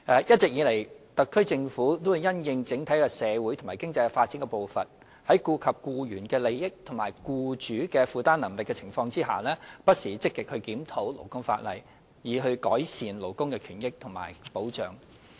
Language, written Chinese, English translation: Cantonese, 一直以來，特區政府因應整體社會及經濟發展的步伐，在顧及僱員利益與僱主負擔能力的情況下，不時積極檢討勞工法例，以改善勞工權益及保障。, All along the Special Administrative Region SAR Government has been actively reviewing labour legislation with a view to improving labour rights and interests as well as labour protection having regard to the overall pace of social and economic development while giving due regard to the interests of employees and the affordability of employers